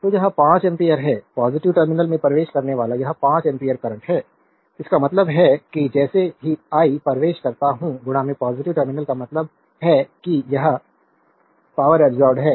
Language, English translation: Hindi, So, next is this 5 ampere, this 5 ampere current entering to the positive terminal right; that means, as I entering into the positive terminal means it is power absorbed